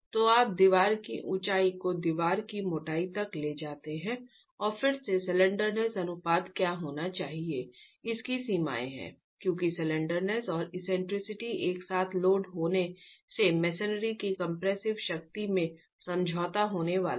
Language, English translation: Hindi, So, you take the height of the wall to the thickness of the wall and again there are limits on what should be the slenderness ratio because slenderness and eccentricity of loading together is going to lead to a compromise in the compression strength of the masonry